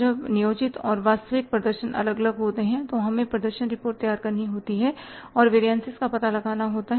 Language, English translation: Hindi, When the planned and the actual performances are different, we have to prepare the performance reports and find out the variances